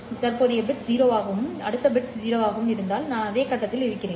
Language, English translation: Tamil, If my present bit is 1 and the next bit is 1, then I am in the same phase situation